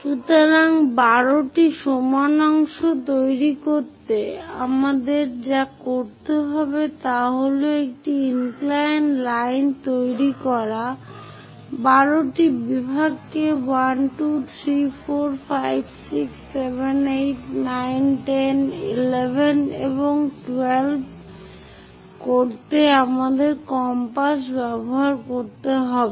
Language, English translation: Bengali, So, to construct 12 equal parts what we have to do is make a inclined line, use our compass to make 12 sections something 1, 2, 3, 4, 5, 6, 7, 8, 9, 10, 11 and 12